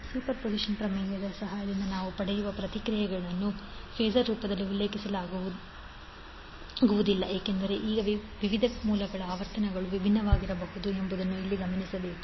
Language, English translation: Kannada, Now it is important to note here that the responses which we get with the help of superposition theorem cannot be cannot be mentioned in the form of phasor because the frequencies of different sources may be different